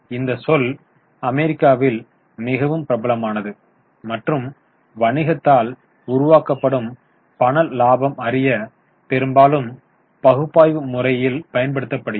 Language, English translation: Tamil, This term is very much popular in US and often used by analysts to know the cash profit generated by the business